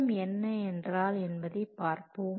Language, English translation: Tamil, Now let's see what is a baseline